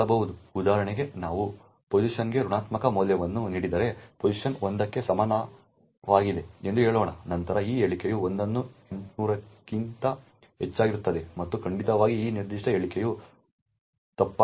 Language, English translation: Kannada, If we give a negative value for pos for example let us say pos is equal to minus 1 then this if statement would have minus 1 greater than 800 and definitely this particular if statement would be false